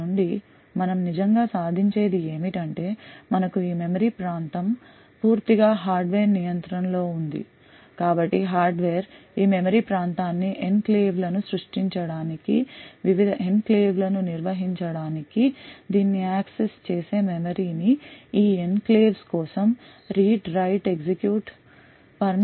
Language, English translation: Telugu, From this what we actually achieve is that we have this region of memory which is completely in the control of the hardware so the hardware could use this region of memory to create enclaves, managed the various enclaves, manage the memory who accesses this enclaves the read write execute permissions for this enclaves and so on